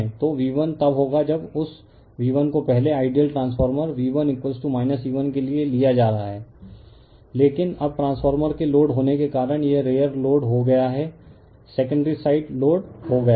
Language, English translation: Hindi, So, V 1 will be when you are taking that V 1 earlier for ideal transformer V 1 is equal to minus E 1 but now this R are the loaded because of the transformer is loaded, secondary side is loaded